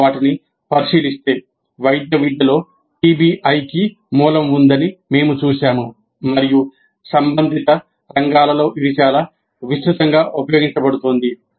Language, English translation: Telugu, So if you look at them we see that PBI has its origin in medical education and it continues to be used quite extensively in that and related fields